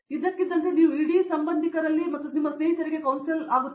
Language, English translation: Kannada, So, suddenly you become the council for the whole relatives and your friends